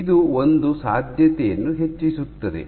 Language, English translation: Kannada, So, this raises a possibility